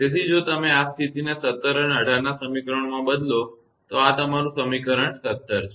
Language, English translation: Gujarati, So, if you substitute this condition in equation 17 and 18; this is your equation 17